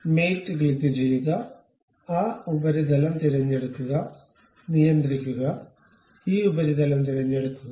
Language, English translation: Malayalam, So, click mate, pick that surface, control, pick this surface, then ok